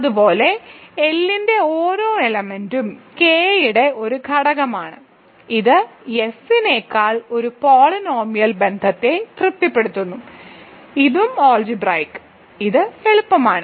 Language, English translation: Malayalam, Similarly, every element of L is an element of K it satisfies a polynomial relation over F, so this is also algebraic, so this is easy